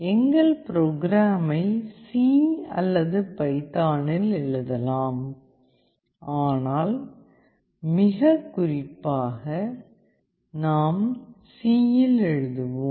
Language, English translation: Tamil, We can write our program in C or python, but most specifically we will be writing in C